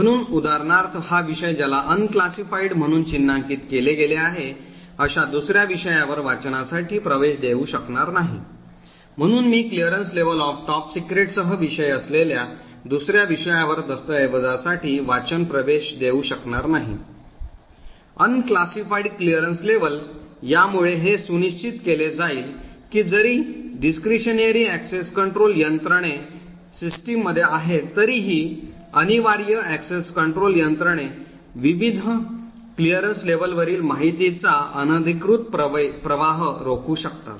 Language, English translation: Marathi, So for example this subject will not be able to grant a read access to another subject who is marked as unclassified, so I subject with a clearance level of top secret will not be able to grant read access for a document to another subject who has an clearance level of unclassified, so this would ensure that even though the discretionary access control mechanisms are present in the system, the mandatory access control mechanisms would prevent unauthorised flow of information across the various clearance levels